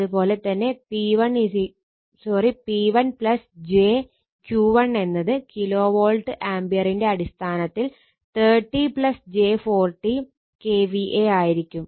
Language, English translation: Malayalam, Therefore, P 1 plus j Q 1 will be 30 plus j 40 Kilovolt Ampere right, in terms of K V A